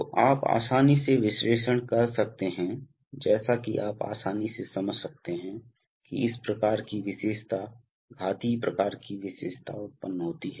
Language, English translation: Hindi, So you can easily analyze, as you can easily understand that this sort of characteristic, exponential kind of characteristic arises